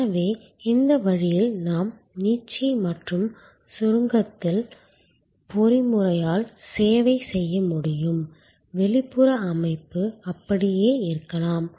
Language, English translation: Tamil, So, by this way we are able to serve by the stretch and shrink mechanism, the outer structure may remain the same